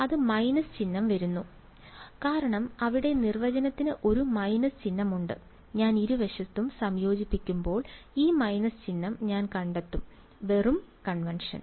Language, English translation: Malayalam, That minus sign is come because here the definition has a minus sign over here right when I integrate on both sides, I will find this minus sign just convention